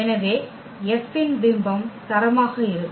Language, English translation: Tamil, So, image of F will be the rank